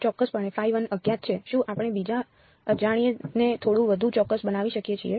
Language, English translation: Gujarati, Phi is definitely unknown can we make the other unknown a little bit more precise